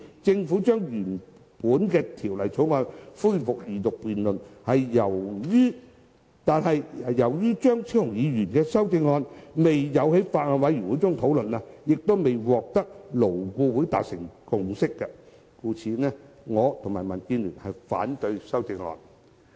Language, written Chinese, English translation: Cantonese, 政府現時已安排《條例草案》恢復二讀辯論，而由於張超雄議員的修正案未有在法案委員會中討論，亦未在勞顧會取得共識，我及民建聯均反對修正案。, The Government has currently made arrangement for the resumption of the Second Reading debate on the Bill . And since the amendments of Dr Fernando CHEUNG had not been discussed at the Bills Committee and no consensus had been reached at LAB both DAB and I oppose the amendments